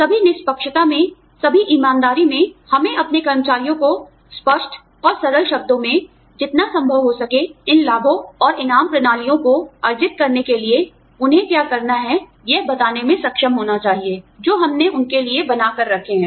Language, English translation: Hindi, In all fairness, in all honesty, we need to be, able to tell our employees, in as clear and simple terms, as possible, what they need to do, in order to, earn these benefits and reward systems, that we have put out, for them